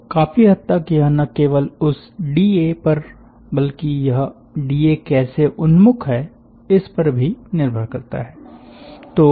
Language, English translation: Hindi, so this strongly depends on not just the d a but how the d a is oriented